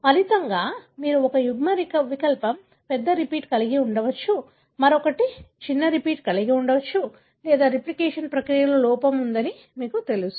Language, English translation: Telugu, As a result, you could have one allele having a larger repeat, the other one is having a shorter repeat or there could be, you know, there is a defect in the replication process